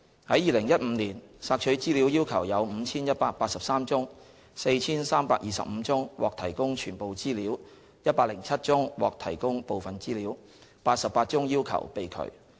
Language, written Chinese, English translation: Cantonese, 在2015年，索取資料要求有 5,183 宗 ，4,325 宗獲提供全部資料 ，107 宗獲提供部分資料 ，88 宗要求被拒。, In 2015 there were 5 183 requests for information received . 4 325 requests were met in full 107 requests were met in part and 88 requests were refused